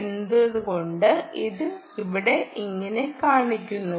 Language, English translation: Malayalam, why does it show something else here